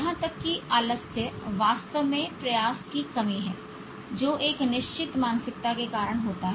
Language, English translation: Hindi, Even laziness is actually lack of effort caused by a fixed mindset